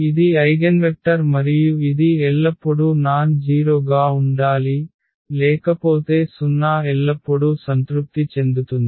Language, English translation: Telugu, So, this is the eigenvector and this has to be always nonzero otherwise, the 0 will be satisfied always